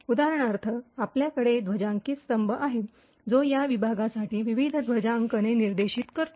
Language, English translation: Marathi, For example, you have a flag column which specifies the various flags for this particular section